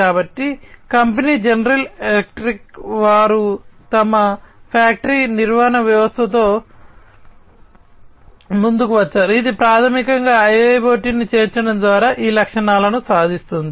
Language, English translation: Telugu, So, the company general electric, they have come up with their factory maintenance system, which basically achieves these features through the incorporation of IIoT